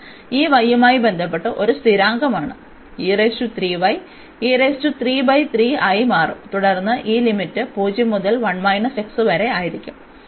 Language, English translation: Malayalam, So, we will integrate with respect to y then and y the limits will be c to d